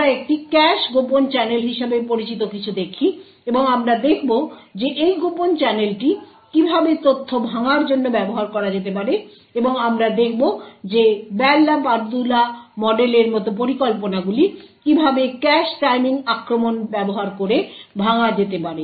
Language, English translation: Bengali, So we would start with something known as a covert channel we look at something known as a cache covert channel and we would see how this covert channel could be used to break information and we would see how schemes such as the Bell la Padula model can be broken using cache timing attacks